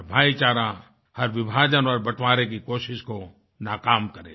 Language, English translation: Hindi, And brotherhood, should foil every separatist attempt to divide us